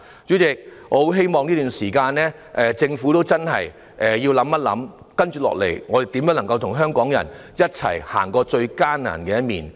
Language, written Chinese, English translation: Cantonese, 主席，我很希望在這段時間，政府真的思考一下，接下來如何與香港人一起走過最艱難的一年。, President I very much hope that during this period the Government will indeed ponder how to go through this most difficult year with Hong Kong people together